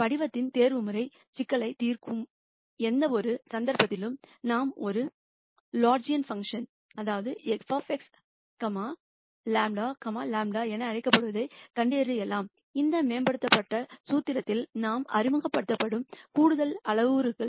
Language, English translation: Tamil, In any case to solve optimization problems of this form we can de ne what is called a Lagrangian function f of x comma lamda, lamda are extra parameters that we introduce into this optimization formulation